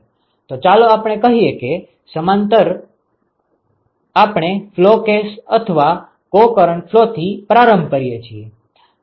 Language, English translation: Gujarati, So, let us say we start with a parallel flow case or a co current flow